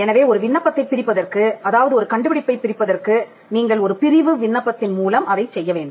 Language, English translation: Tamil, So, the process of dividing an application, wherein, you separate the invention, is done by filing a divisional application